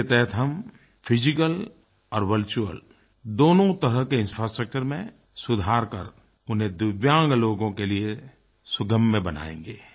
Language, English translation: Hindi, Under this campaign we will improve both the physical and virtual infrastructure and make it accessible for the 'Divyang' people